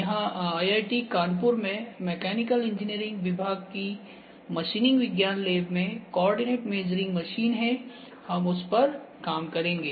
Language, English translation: Hindi, The coordinate measuring machine that we have here in IIT, Kanpur in machining science lab in mechanical engineering department is one that will work on